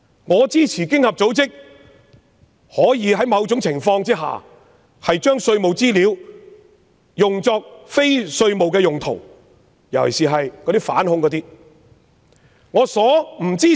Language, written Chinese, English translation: Cantonese, 我支持經合組織可在某種情況下，把稅務資料用作非稅務用途，尤其是涉及反恐事宜。, I support that OECD should be allowed to use taxation information for non - tax related purposes under certain circumstances particularly on counter - terrorism matters